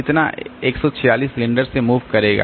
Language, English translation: Hindi, So, by 146 cylinders it will move